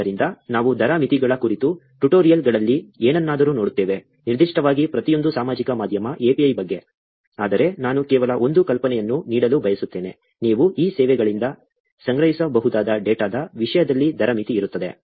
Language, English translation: Kannada, So, we will look at something in the tutorials about rate limits, particularly about each of the social media API , but I wanted to just give an idea about, there is going to be a rate limit, in terms of the data you can collect from these services